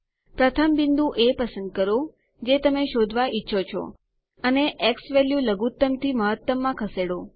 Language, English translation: Gujarati, First select point A thats what you want to trace and then move the xValue from minimum to maximum